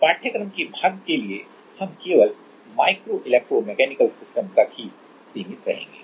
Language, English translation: Hindi, For the part of this course we will be only restricted to micro electro mechanical systems